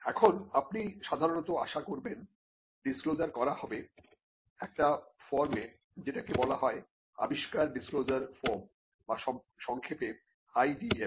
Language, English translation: Bengali, Now, normally you would expect the disclosure to be made, in what is called an invention disclosure form or IDF for short